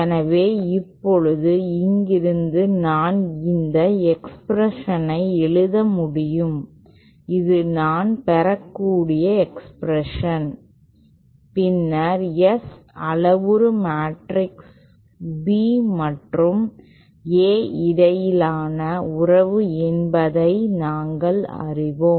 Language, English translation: Tamil, So now from here I can write down this expression this is expression that I can get and then we know that S parameter matrix is a relationship between B and A